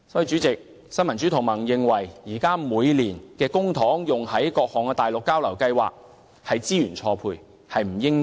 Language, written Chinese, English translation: Cantonese, 主席，新民主同盟認為，政府現時每年把公帑用作於資助各項內地交流計劃上，實屬資源錯配。, Chairman the Neo Democrats considers the Governments practice of funding all sorts of Mainland exchange programmes with public money a user - resource mismatch in fact